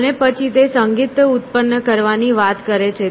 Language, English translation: Gujarati, And then in particular she talks about generating music